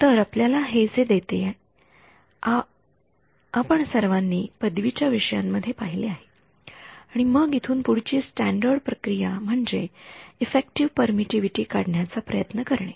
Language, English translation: Marathi, So, that gives us this which all of us have seen during undergraduate courses and then the standard procedure from here is to try to extract the effective permittivity